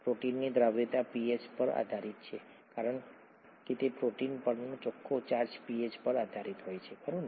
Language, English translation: Gujarati, The protein solubility is pH dependent because the net charge on the protein is pH dependent, right